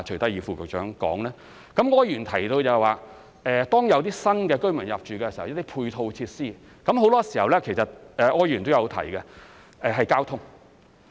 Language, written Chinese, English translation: Cantonese, 柯議員提到，當有新居民入住，就需要一些配套設施，而很多時候是有關交通方面，這柯議員也有提到。, Mr OR mentioned that the intake of new residents necessitates some ancillary facilities and very often they are related to transport . Mr OR has brought up this point too